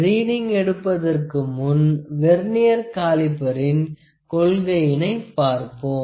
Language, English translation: Tamil, So, before checking the reading I like to discuss the principle of Vernier caliper